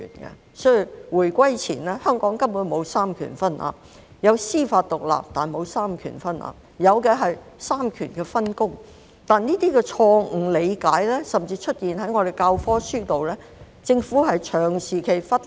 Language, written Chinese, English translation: Cantonese, 故此在回歸前，香港根本沒有三權分立——有司法獨立，但沒有三權分立，有的是三權分工——但這些錯誤理解甚至出現在我們的教科書本內，而政府長期忽視。, Hence before reunification Hong Kong basically did not enjoy separation of powers―there is judicial independence but not separation of powers and what we have is division of work among the three powers instead―but this kind of misunderstanding even appears in our textbooks which has been neglected by the Government for a very long time